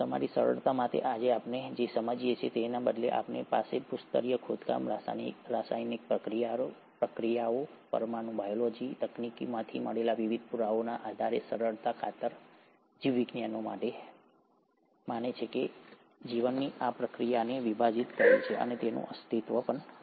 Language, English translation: Gujarati, So, for simplicity, what we understand today or rather, based on the various evidences that we have from geological excavations, from chemical reactions, from molecular biology techniques, for simplicity's sake the biologists believe and have divided this very process of life and it's existence or origin into three different phases